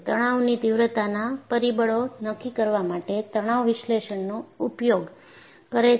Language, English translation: Gujarati, It uses stress analysis to determine the stress intensity factors